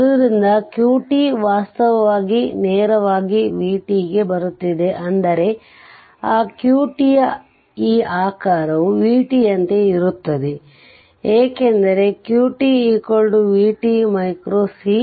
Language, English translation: Kannada, So, q t is actually your directly your coming to v t that means this shape of that q t will be same as your v t, because q t is equal to v t micro coulomb